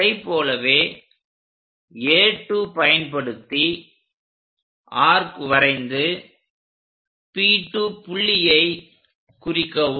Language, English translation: Tamil, Similarly, from A2 make an arc P2 point